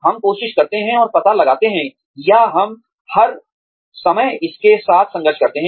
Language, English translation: Hindi, We try and find out, or, we struggle with this, all the time